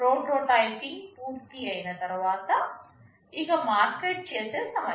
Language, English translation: Telugu, And after the prototyping is done, comes time to market